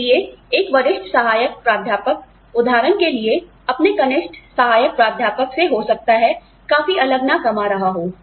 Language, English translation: Hindi, So, a senior assistant professor, for example, may not be earning, something very significantly, different from his junior associate professor